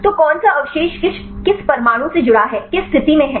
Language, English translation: Hindi, So, which residue which atom is connected which position